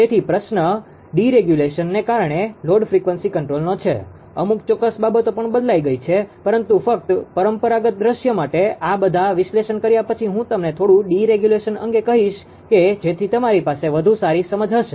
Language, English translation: Gujarati, So, question is that ah load frequency control ah because of the deregulation also certain things have changed right ah concept has changed, but after making ah all these analysis for conventional scenario conventional scenario only, then little bit clever, I will give you regarding the deregulation such that you know you will have a better understanding